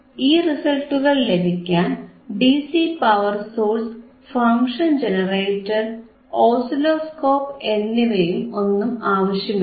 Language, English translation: Malayalam, 3 things ,we have DC power supply, function generator, and oscilloscope